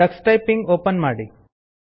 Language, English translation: Kannada, Let us open Tux Typing